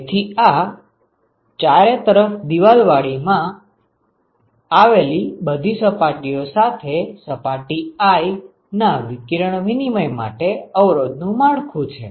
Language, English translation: Gujarati, So, that is the resistance network for radiation exchange of surface i with all other surfaces in the enclosure ok